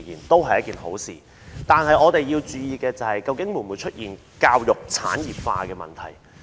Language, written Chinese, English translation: Cantonese, 但是，我們要注意會否出現教育產業化的問題。, However we must watch out for the risk that our education may become industrialized